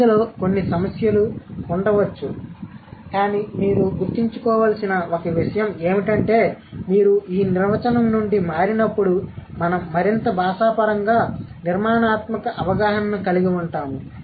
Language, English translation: Telugu, So, this might have a couple of other, let's say, issues or other problems, but one thing that you need to remember is that when you move from this definition will have a more linguistically structural understanding